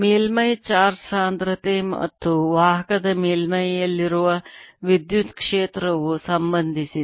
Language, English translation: Kannada, this is how surface charge density and the electric field on the surface of conductor are related